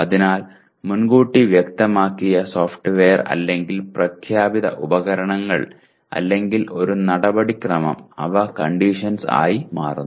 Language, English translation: Malayalam, So pre specified software or the stated equipment or a procedure, they become conditions